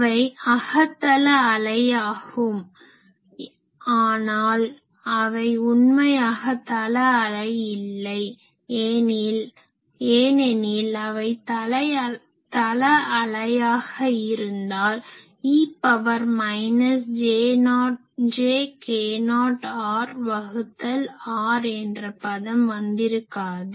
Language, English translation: Tamil, So, they are locally plane wave, but they are not strictly speaking plane wave, because if they are plane wave this e to the power minus j k not r by r term would not come